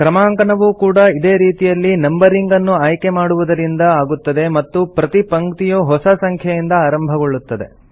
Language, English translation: Kannada, Numbering is done in the same way, by selecting the numbering option and every line will start with a new number